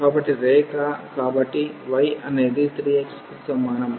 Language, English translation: Telugu, So, the curve so, y is equal to 3 x